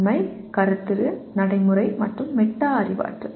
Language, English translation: Tamil, Factual, Conceptual, Procedural, and Metacognitive